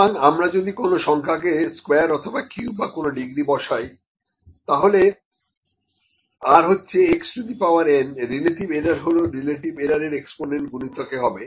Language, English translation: Bengali, So, what if you square or cube or put some degree to a number, for instance if r is equal to x power n, the relative error is the exponents times the relative error